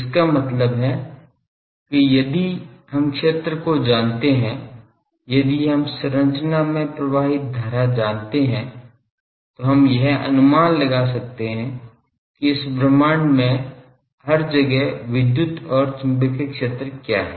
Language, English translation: Hindi, That means, given if we know the field if we know the current on the structure we should be able to predict what is the electric and magnetic field everywhere in this universe